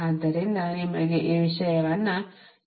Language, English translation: Kannada, so i am giving you this thing